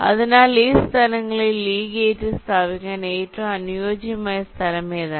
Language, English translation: Malayalam, so, out of this five locations, which is the best location to place this gate